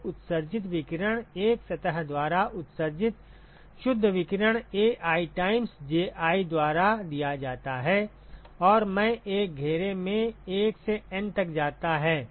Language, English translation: Hindi, So, the radiation emitted, the net radiation that is emitted by a surface is given by Ai times Ji right and i goes from 1 to N in an enclosure